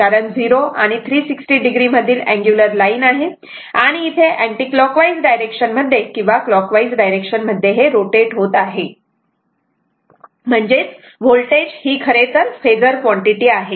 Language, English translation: Marathi, Because angular line between 0 and a 360 degree so, and it is moving your either here we are taking anticlockwise either clockwise or anticlockwise what isoever the phasor is a rotating vector right